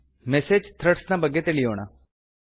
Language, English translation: Kannada, Lets learn about Message Threads now